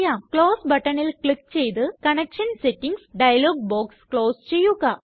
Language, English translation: Malayalam, Click on the Close button to close the Connection Settings dialog box